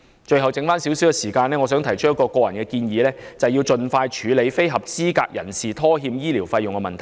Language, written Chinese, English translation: Cantonese, 最後剩下少許時間，我想提出一項個人建議，便是盡快處理非合資格人士拖欠醫療費用的問題。, Finally with the little time left I would like to put forward a personal proposal The Government should expeditiously deal with the problem of default on payment of medical fees by non - eligible persons